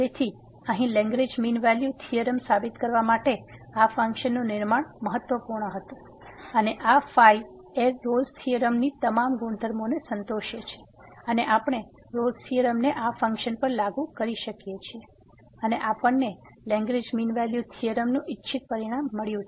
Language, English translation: Gujarati, So, the construction of this function here was important to prove the Lagrange mean value theorem and this here satisfy all the properties of the Rolle’s theorem and we can apply the Rolle’s theorem to this function and we got the desired result of the Lagrange mean value theorem